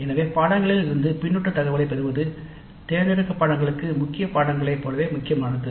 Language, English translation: Tamil, So getting the feedback data from the courses is as important for elective courses as for core courses